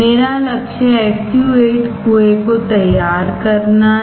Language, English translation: Hindi, My goal is to form a SU 8 well